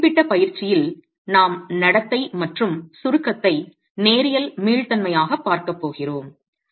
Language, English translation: Tamil, In this particular exercise we are going to be looking at the behavior in compression as being linear elastic